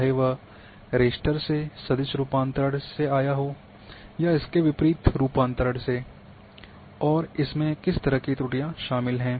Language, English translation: Hindi, Whether it has come from raster to vector conversion or vice versa and what kind of errors it has introduced